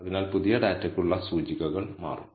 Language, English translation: Malayalam, So, the indices for the new data will change